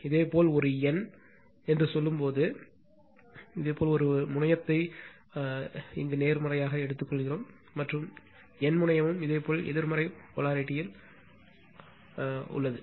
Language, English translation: Tamil, Only one thing I tell when you say a n, you take a terminal is positive, and n terminal is your what you call negative right in instantaneous polarity in instantaneous polarity